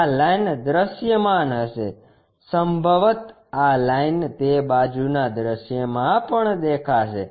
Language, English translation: Gujarati, This line also will be visible, possibly this line also visible in that side view